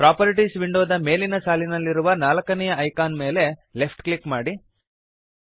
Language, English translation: Kannada, Left click the fourth icon at the top row of the Properties window